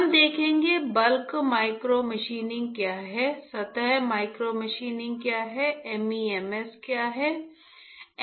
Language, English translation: Hindi, We will see, what is bulk micromachining what is surface micromachining, when we understand, what is or what are MEMS